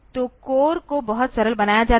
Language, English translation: Hindi, So, the cores are made very simple